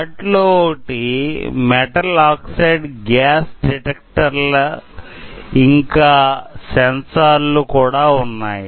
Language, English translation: Telugu, One of them is like metal oxide gas detectors or sensors are there